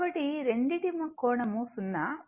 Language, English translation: Telugu, So, both angle 0